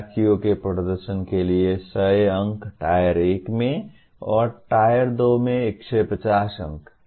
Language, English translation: Hindi, Students’ performance, here Tier 1 100 marks and Tier 2 150 marks